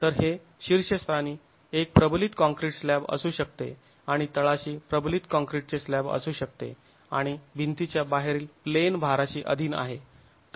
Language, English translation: Marathi, So, it could be a reinforced concrete slab at the top and the reinforced concrete slab at the bottom and wall is subjected to an out of plain load